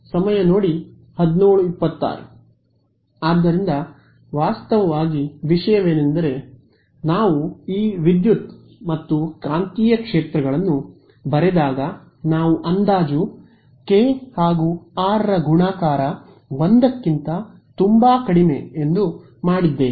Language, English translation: Kannada, So, actually the thing is that when we wrote down these electric and magnetic fields we made the approximation kr much much less than 1